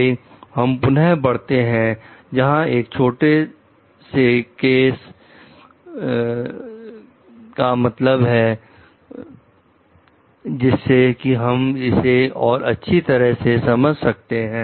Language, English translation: Hindi, Next we will move on to again a small case to deal with it, so that we can understand it in a better way